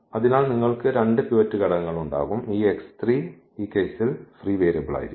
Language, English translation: Malayalam, So, you will have 2 pivot elements and this x 3 will be the free variable in this case